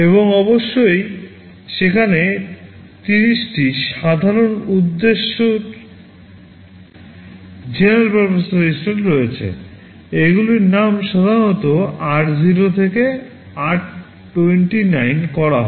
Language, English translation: Bengali, And of course, there are 30 general purpose registers; these are named typically r0 to r29